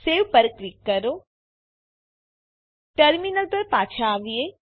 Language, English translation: Gujarati, Click on Save Come back to the terminal